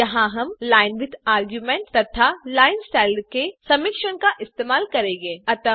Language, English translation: Hindi, Here we shall use a combination of linewidth argument and linestyle